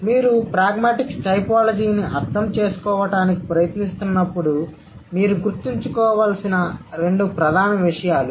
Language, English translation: Telugu, So, and these are the two main things that you need to remember when you are trying to understand pragmatic typology